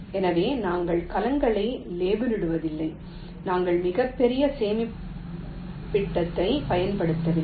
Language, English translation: Tamil, so we are not labeling cells, we are not using very large storage, only in